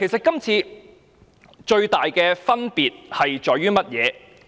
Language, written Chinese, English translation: Cantonese, 今次最大的分別在於甚麼？, What is the major difference in this case?